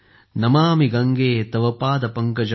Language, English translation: Marathi, Namami Gange Tav Paad Pankajam,